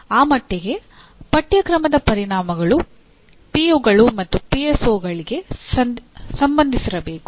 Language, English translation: Kannada, So to that extent course outcomes have to be related to the POs and PSOs